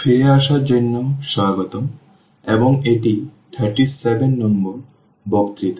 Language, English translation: Bengali, So, welcome back and this is lecture number 37